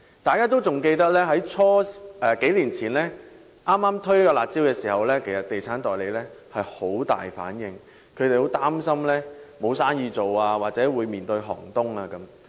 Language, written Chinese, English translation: Cantonese, 大家記得在數年前首次推出"辣招"時，地產代理的反應很大，他們擔心會影響生意或令行業步入寒冬。, As Members may recall when curb measures were first introduced a few years ago estate agents reacted very strongly for they were worried that their business would be affected or the industry might enter a harsh winter